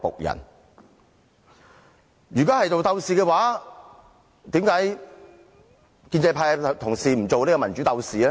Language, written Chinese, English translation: Cantonese, 如果是鬥士的話，為甚麼建制派的同事不做民主鬥士？, If I were considered a fighter at that time why cant pro - establishment Members be democracy fighters?